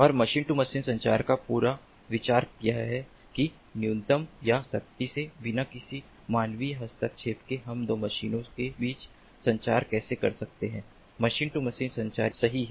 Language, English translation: Hindi, so different types of machines and the whole idea of machine to machine communication is that with minimal or, strictly speaking, no human intervention, how we can have communication between two machines, two machines